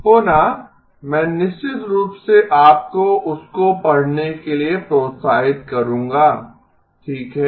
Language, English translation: Hindi, Again, I definitely would encourage you to read that okay